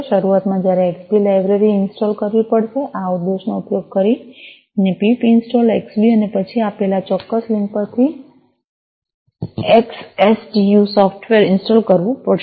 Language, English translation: Gujarati, Initially, you have to install the Xbee library, using this command pip install, Xbee and then install the XCTU software from this particular link that is given